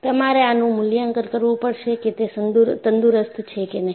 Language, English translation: Gujarati, You have to assess whether it is healthy or not